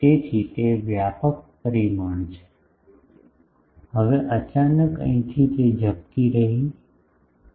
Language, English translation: Gujarati, So, it is broader dimension a now suddenly from here it is getting flared